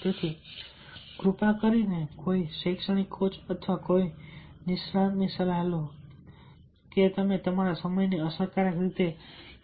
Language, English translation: Gujarati, so, therefore, kindly consult an academic coach or any expert how you can manage a effectively your time